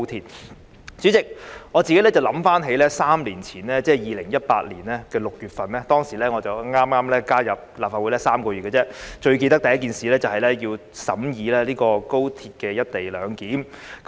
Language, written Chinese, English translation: Cantonese, 代理主席，我回想起3年前，即是2018年6月，當時我剛加入立法會3個月而已，最深刻的第一件事是審議《廣深港高鐵條例草案》。, Deputy President I recall that three years ago ie . in June 2018 when I joined the Legislative Council for only three months the first thing that impressed me most was the deliberation of the Guangzhou - Shenzhen - Hong Kong Express Rail Link Co - location Bill the Bill